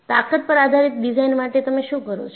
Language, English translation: Gujarati, So, in design based on strength, what do you do